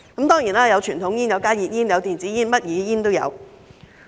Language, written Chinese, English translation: Cantonese, 當然，有傳統煙、加熱煙、電子煙，甚麼煙都有。, Of course they smoke conventional cigarettes HTPs e - cigarettes and all kinds of cigarettes